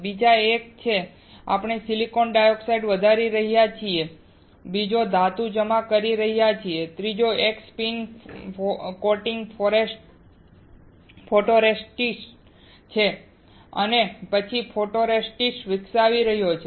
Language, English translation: Gujarati, Another one is, we are growing silicon dioxide, another one is depositing metal, another one is spin coating the photoresist and then developing the photoresist